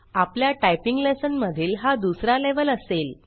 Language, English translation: Marathi, This will be the second level in our typing lesson